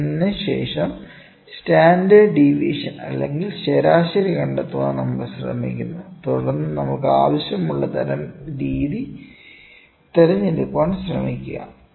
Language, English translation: Malayalam, Then, what we do we try to find out the standard is sigma, standard deviation and the mean try to figure out what is the process variation and then try to choose the method what we want